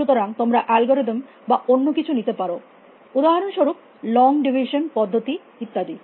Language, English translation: Bengali, So, anything you can use algorithms or so the procedure for long division for example and so on and so forth